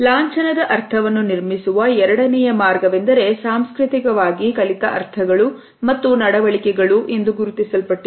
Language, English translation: Kannada, The second way in which meaning of an emblem is constructed is through culturally learnt meanings and behavioral associations